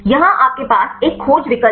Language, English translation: Hindi, You have a search option here